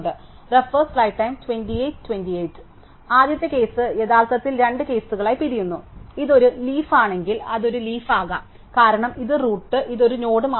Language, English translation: Malayalam, So, the first case actually breaks up in two cases, if it is a leaf it could be a leaf because it is the root, the root and which is only one node